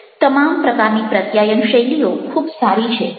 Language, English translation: Gujarati, all kinds of communication is styles are very good